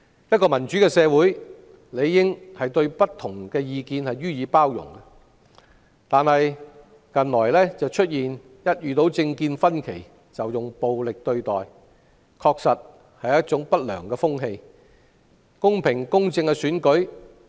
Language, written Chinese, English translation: Cantonese, 一個民主社會理應對不同意見予以包容，但近來一旦出現政見分歧，便招徠暴力對待，確實是一種不良風氣。, A democratic society should be tolerant of different opinions but recently people with different political views are violently treated which is indeed an unhealthy trend